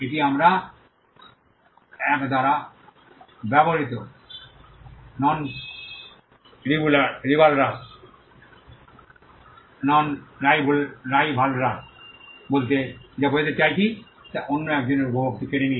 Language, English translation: Bengali, This is what we mean by non rivalrous used by 1 does not take away the enjoyment by another